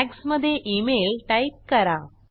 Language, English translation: Marathi, In Tags type email